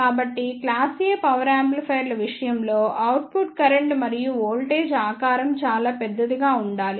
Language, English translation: Telugu, So, in case of class A power amplifiers the output current and voltage shape should be very large